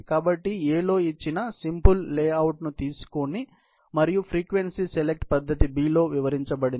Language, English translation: Telugu, So consider this simple layout given in A and the frequency select method is demonstrated in B